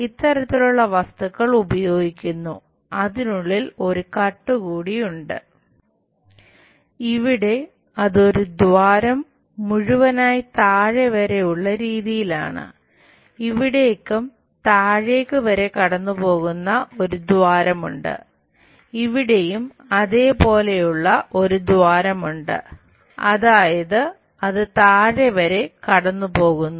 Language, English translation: Malayalam, So, it is more like there is a hole passing all the way down, here also there is a hole all the way passing down, here also there is a hole which is passing all the way down